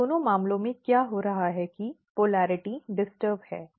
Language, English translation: Hindi, So, in both the cases what is happening that polarity is disturbed